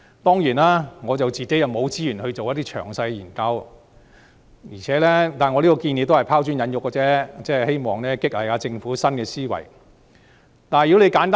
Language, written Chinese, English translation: Cantonese, 當然，我沒有資源進行詳細研究，我這項建議也只是拋磚引玉而已，希望激勵政府施政要有新思維。, Certainly I do not have the resources to conduct a detailed study but my proposal is just to cast a brick to attract jade in the hope that the Government will be encouraged to implement policies with a new way of thinking